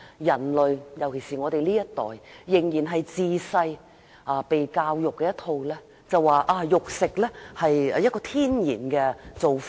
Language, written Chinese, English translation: Cantonese, 人類，尤其是我們這一代，從小獲得的教育是食肉是天然的做法。, Human beings particularly this generation of ours have been taught since childhood that eating meat is natural